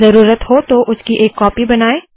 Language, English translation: Hindi, make a copy of it if required